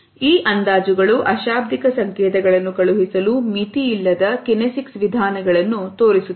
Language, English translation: Kannada, These estimates highlight the nearly limitless kinesic means for sending nonverbal signals